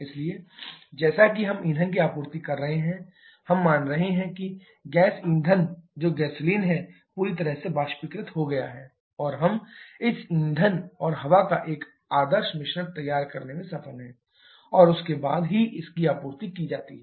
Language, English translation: Hindi, So, as we are supplying fuel, we are assuming that the liquid fuel that is gasoline has completely vaporized and we are successful in preparing a perfect mixture of this fuel and air and then only is supplied to this